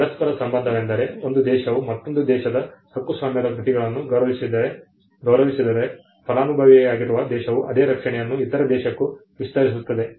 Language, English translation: Kannada, Reciprocity is if one country would respect the copyrighted works of another country, the country which is the beneficiary will also extend the same protection to the other country